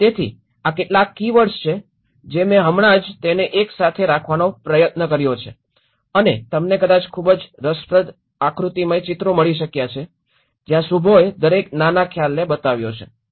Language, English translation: Gujarati, So, these are some of the keywords I just tried to put it together and you might have find a very interesting diagrammatic illustrations where Shubho have showed each of the small concept